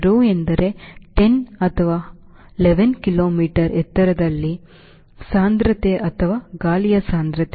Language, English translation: Kannada, rho means density of altitude, a density of air at that altitude, ten to eleven kilometer